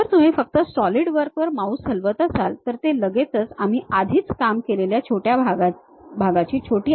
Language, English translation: Marathi, If you are just moving your mouse on Solidwork, it straight away shows the minimized version of what is that part we have already worked on